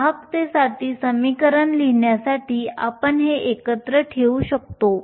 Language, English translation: Marathi, We can put these together to write an equation for the conductivity